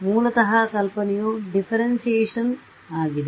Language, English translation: Kannada, Basically idea is of differentiation